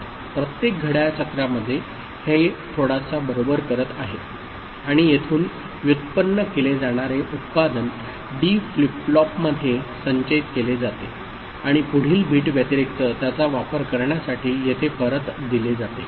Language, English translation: Marathi, In every clock cycle it is doing a one bit addition right and the carry output of it that is generated here is stored in a D flip flop and this is fed back here for use it in the next bit addition